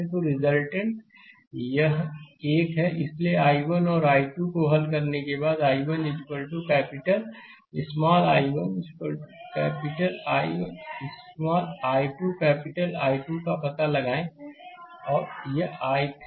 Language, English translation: Hindi, So, once you solve I 1 and I 2, then you find out I 1 is equal to capital small i 1 is equal to capital I 1, small i 2 capital I 2 and this is I 3